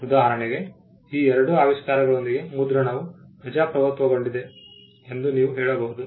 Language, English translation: Kannada, For instance, you can say that printing got democratized with these two inventions